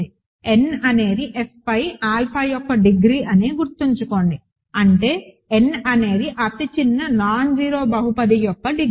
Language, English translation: Telugu, Remember n was the degree of alpha over F; that means, n is the degree of the smallest nonzero polynomial